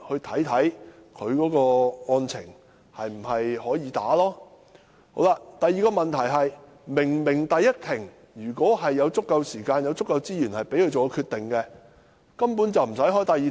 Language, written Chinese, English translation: Cantonese, 第二，如果律師在第一庭前已有足夠時間和資源作出決定，便根本無須召開第二庭。, Second if the lawyers have enough time and resources to make the said decision before the first hearing the second hearing will be unnecessary